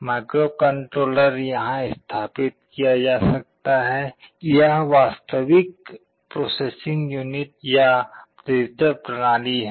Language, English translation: Hindi, The microcontroller can be sitting here, this is the actual processing unit or digital system